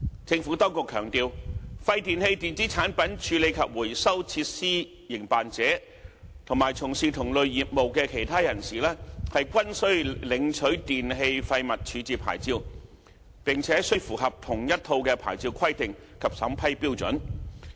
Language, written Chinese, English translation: Cantonese, 政府當局強調，廢電器電子產品處理及回收設施營辦者，以及從事同類業務的其他人士均須領取電器廢物處置牌照，並須符合同一套牌照規定及審批標準。, The Administration emphasized that the WEEETRF operator and other business operators are required to obtain the waste disposal licence in respect of e - waste and meet the same set of licensing requirements and vetting and approval standards